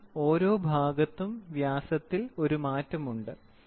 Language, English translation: Malayalam, Because at every point there is a change in the diameter